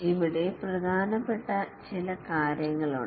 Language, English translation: Malayalam, There are few things which are important here